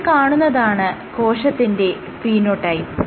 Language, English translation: Malayalam, We are saying that it is the phenotype